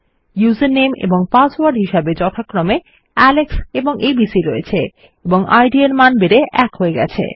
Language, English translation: Bengali, We have user name and password as Alex and abc and the id has already been set to 1